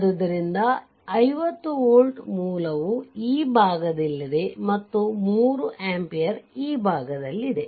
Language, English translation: Kannada, So, an 50 volt source is there this side 3 ampere